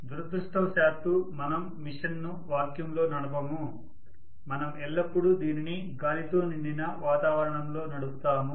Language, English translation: Telugu, But unfortunately we do not run the machine in vacuum we always run it in an environment which is probably filled with air